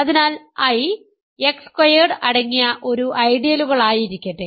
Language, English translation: Malayalam, So, let I be an ideal containing X squared